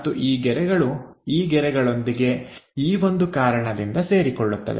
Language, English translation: Kannada, And these lines will coincides with this lines there is a reason we have it